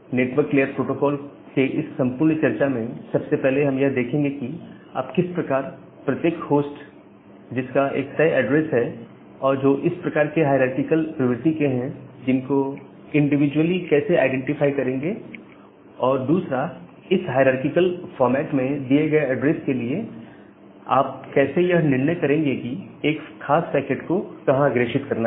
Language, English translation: Hindi, So, in this entire discussion of network layer protocols, we will look into that first of all how will you individually identify every host with certain address which has this kind of hierarchical nature and number two, given a address in this hierarchical format how will you decide where to forward a particular packet